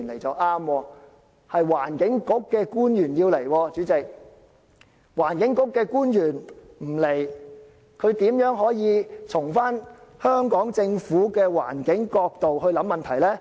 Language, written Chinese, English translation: Cantonese, 主席，環境局的官員不出席，它又如何可以從香港政府的環境角度思考問題呢？, President without the presence of the officers from the Environment Bureau how can the question be considered from the environmental perspective of the Hong Kong Government?